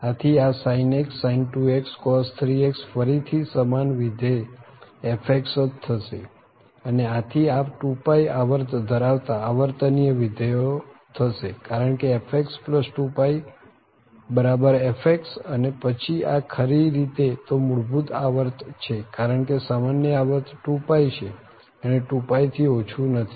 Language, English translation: Gujarati, So, this is sin x, sin 2x cos 3x again the same function fx and therefore this a periodic function with period 2 pie because fx plus 2 pie we are getting this fx and then this is indeed the fundamental period because the common period is 2 pie and not less than 2 pie